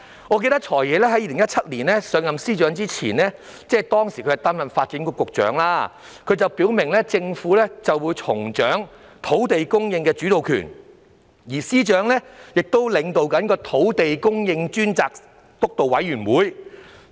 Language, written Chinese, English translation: Cantonese, 我記得，"財爺"在2017年上任司長一職前，即擔任發展局局長時，曾表明政府會重掌土地供應的主導權，而司長亦正領導土地供應督導委員會。, As I recall before FS assumed office in 2017 when he was in the post of the Secretary for Development he made it clear that the Government would resume the lead in land supply and FS is currently chairing the Steering Committee on Land Supply